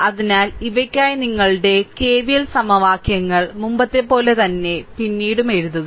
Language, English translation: Malayalam, So, same as before, if you write the your KVL equations, for the for these one later it is written